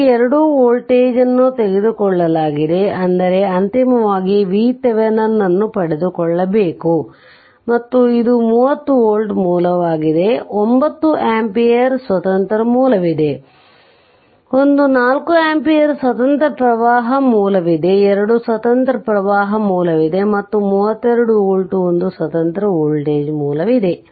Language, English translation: Kannada, So, question is that that these 2 voltage have been taken, but you have to ultimately obtain V Thevenin and this is a 30 volt source one 9 ampere source independent source is there, one 4 ampere independent current source is there 2 cu[rrent] independent current source is there and one independent voltage source of 32 volt is there